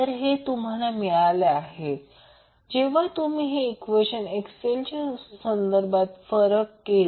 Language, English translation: Marathi, So, this is what you get when you differentiate this is the equation with respect to XL